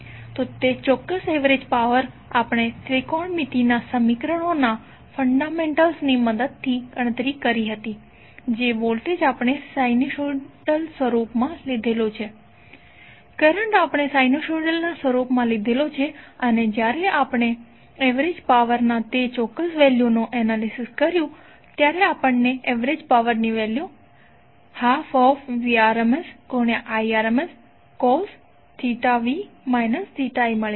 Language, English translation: Gujarati, So that particular average power we calculated with the help of the fundamentals of the trigonometric equations that is the voltage we took in the sinusoidal form, current we took in the form of sinusoidal form and when we analyzed that particular value of average power we got value of average power as 1 by 2 VmIm cos of theta v minus theta i